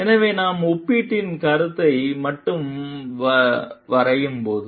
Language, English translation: Tamil, So, when we are just drawing a summary of comparison